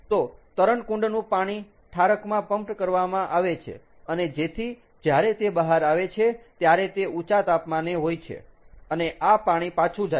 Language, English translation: Gujarati, ok, so the swimming pool water is pumped through the condenser and so that when it comes out it is at an elevated temperature and this water goes back